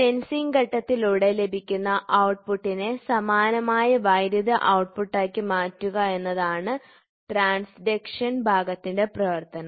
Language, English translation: Malayalam, The transduction element the function of a transduction element is to transform the output obtained by the sensing element to an analogous electrical output